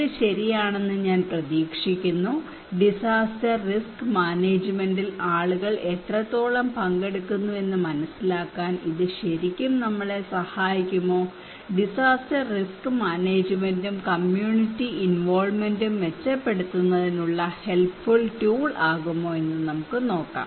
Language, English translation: Malayalam, I hope this is fine, now let us look that can it really help us to understand what extent how people are participating in disaster risk management, can it be a helpful tool for us to improve disaster risk management and community involvement